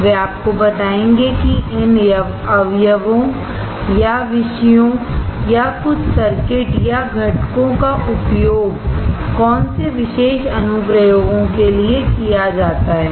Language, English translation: Hindi, He will tell you these ingredient or topics or some circuits or components are used for this particular applications